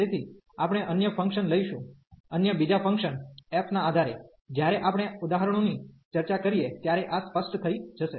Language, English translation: Gujarati, So, we take another function based on the given function f this will be rather clear, when we discuss the examples